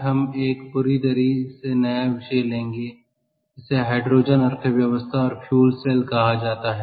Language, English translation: Hindi, so today we will pick up a completely new topic and that is called hydrogen economy and fuel cells